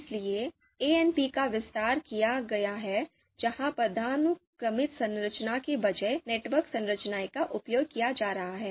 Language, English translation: Hindi, So ANP has been expanded where instead of the hierarchical you know structure, the network structure is being used